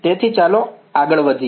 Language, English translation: Gujarati, So, let us proceed